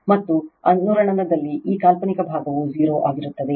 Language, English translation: Kannada, And at resonance this imaginary part will be 0 right